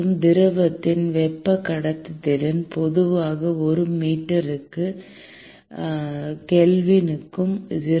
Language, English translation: Tamil, And the thermal conductivity of liquid is typically in the range of 0